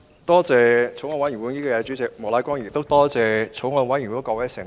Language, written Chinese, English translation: Cantonese, 多謝法案委員會主席莫乃光議員，亦感謝法案委員會的各位成員。, I would like to thank the Chairman of the Bills Committee Mr Charles Peter MOK and all members of the Bills Committee